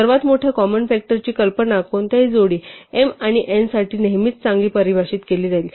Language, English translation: Marathi, So, the notion of the largest common factor will always be well defined for any pair m and n